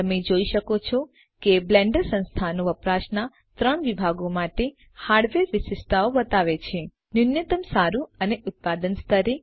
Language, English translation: Gujarati, As you can see, the Blender Organization shows Hardware Specifications for 3 sections of usage: Minimum, Good and Production levels